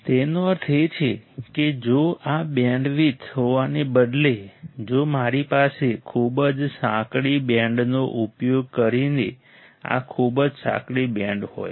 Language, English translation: Gujarati, It means that if instead of having this this bandwidth, if I have like this very narrow band using very narrow band right